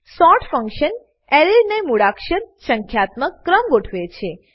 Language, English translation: Gujarati, sort function sorts an Array in alphabetical/numerical order